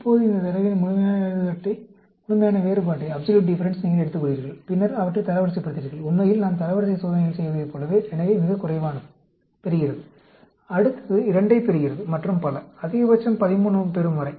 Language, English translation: Tamil, Now, you take the absolute difference of this data, and then, you rank them; just like originally we did rank tests, so the lowest gets 1; the next one gets 2, and so on, until the highest gets 13